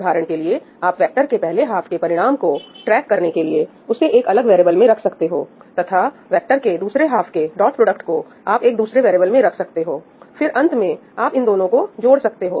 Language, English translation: Hindi, For instance, you could keep track of the result of let us say first half of the vector in a separate variable and you could keep the dot product of the second half of the vectors in a separate variable and in the end you could add them up together, right